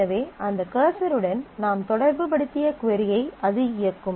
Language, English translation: Tamil, So, that will execute the query that you have associated with that cursor